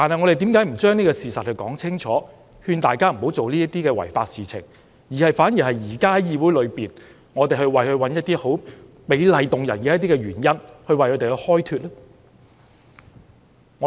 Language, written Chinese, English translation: Cantonese, 為何我們不把事實說清楚，勸大家不要做那些違法的事情，反而在議會裏為他們找一些美麗動聽的原因開脫呢？, Why dont we clarify the facts and advise everyone not to do those illegal things instead of making some high - sounding and beautiful reasons in the Chamber to justify their crimes?